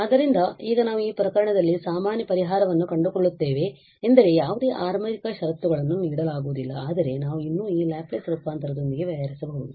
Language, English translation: Kannada, So, now we will find the general solution in this case meaning that no initial conditions are given but we can still deal with this Laplace transform